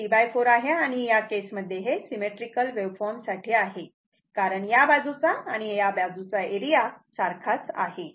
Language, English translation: Marathi, But, this is your T by 4 and in that case for symmetrical waveform because this side area and this side area is same